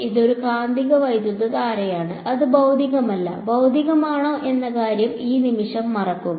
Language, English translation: Malayalam, It is a magnetic current, forget for a moment whether it is physical not physical its some quantity over here